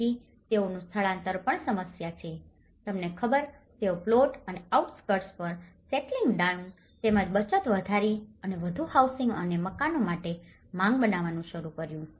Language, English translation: Gujarati, So, they also the migrants have also created problems, you know they started settling down on plots and outskirts of the towns increasing their savings and thus creating a demand for more housing and houses